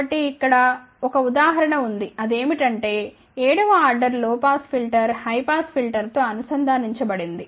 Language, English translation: Telugu, So, here is a one example which is a 7th order low pass filter integrated with high pass filter